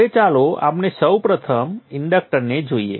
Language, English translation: Gujarati, Now let us look at the inductor first